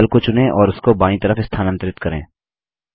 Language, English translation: Hindi, Let us select the cloud and move it to the left